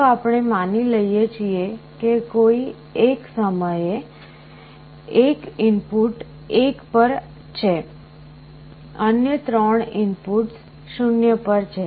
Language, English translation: Gujarati, Let us say we assume that at a time one of the input is at 1, other 3 inputs are at 0